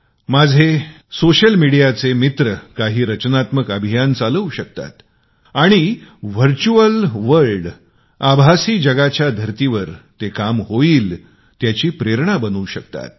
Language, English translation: Marathi, My friends from the social media can run a few creative campaigns and thus become a source of inspiration in the virtual world, to see results in the real world